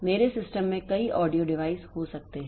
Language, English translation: Hindi, I may have say a number of audio devices in my system